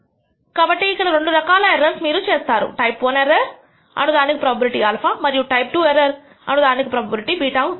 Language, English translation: Telugu, So, there are two types of errors that you commit what to call the type I error probability alpha, and the type II error probability beta